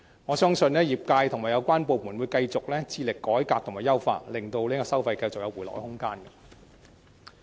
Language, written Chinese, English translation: Cantonese, 我相信業界和有關部門會繼續致力改革和優化，令收費繼續有回落的空間。, I believe the industry and relevant departments will continue to strive for revamps and optimization allowing room for a further reduction of fees